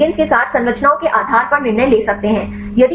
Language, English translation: Hindi, So, we can decide based on the structures with ligands